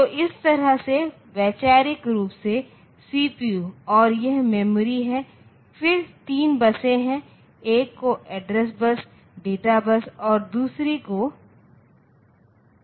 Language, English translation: Hindi, So, this way conceptually I can say that if this is my CPU and this is the memory, then there are three buses one is called the address bus, one is called the address bus one is called the data bus one is called this data bus and the other is the control bus